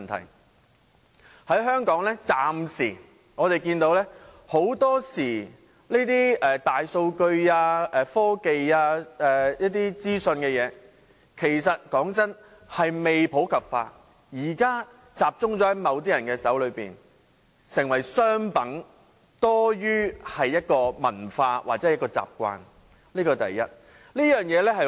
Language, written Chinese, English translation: Cantonese, 坦白說，我們暫時看見在香港很多時候大數據、科技或資訊等事情仍未普及，現時仍然只是集中在某些人手上，成為商品多於一種文化或習慣，這是第一點。, Frankly we can see that for the time being such things as big data technology or information are often still not widely available in Hong Kong and at present they are still concentrated in the hands of some people . They have become a kind of commodity rather than a kind of culture or habit . This is the first point